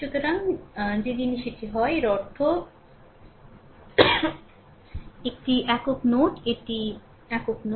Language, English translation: Bengali, So, that is the that is the thing; that means is a single node, right, it is single node